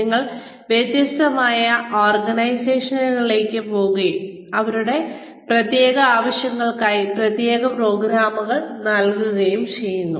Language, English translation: Malayalam, We also go to different organizations, and deliver specialized programs, for their specific needs, to cater to their specific needs